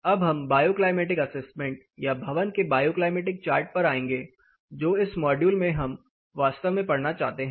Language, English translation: Hindi, Now, we will come to the bioclimatic assessment or the building bioclimatic chart which we are actually interested in as a part of this module